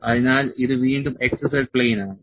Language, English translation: Malayalam, So, this is again x z plane